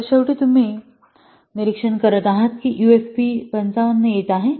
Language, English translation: Marathi, So, finally you are observing that UAP is coming to be 55